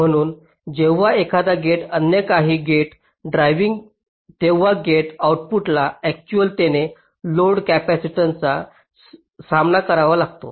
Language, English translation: Marathi, so when a gate is driving some other gate, the gate output actually faces load capacitances